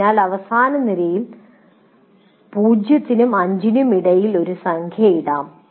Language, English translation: Malayalam, So you can put a number between zero and five in the last column